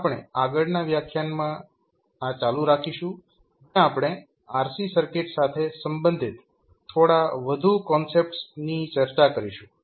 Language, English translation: Gujarati, We continue this journey in the next lecture where we will discuss few more concepts related to rc circuits